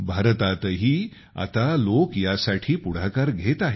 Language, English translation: Marathi, In India too, people are now coming forward for this